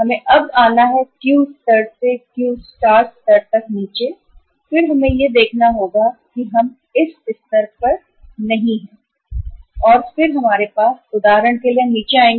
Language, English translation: Hindi, We have to now come down from the Q level to the Q star level and then we will have to see that not this level at this level we are and then we have we will come down for example when we will come here